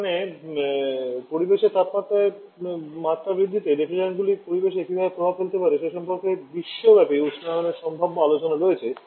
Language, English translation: Bengali, Here the global warming potential talks about the effect the refrigerants may have on the environmental increasing the temperature levels in environment